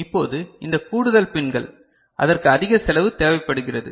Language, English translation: Tamil, Now, this additional pins that requires higher cost